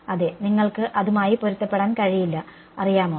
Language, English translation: Malayalam, Yeah, you cannot match that know yeah